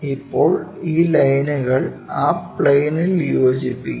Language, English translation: Malayalam, Now, join these lines onto that plane